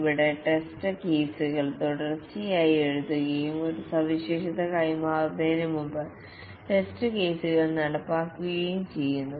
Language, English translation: Malayalam, Here the test cases are written continually and the test cases are executed before a feature is passed